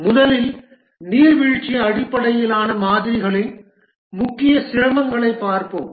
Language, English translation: Tamil, First let's look at the major difficulties of the waterfall based models